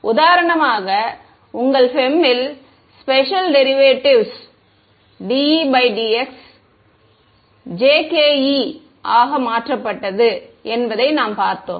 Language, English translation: Tamil, Then you saw that for example, in your FEM the special derivative dE by dx was replaced by jkE